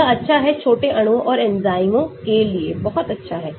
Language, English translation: Hindi, it is good for; very good for small molecules and enzymes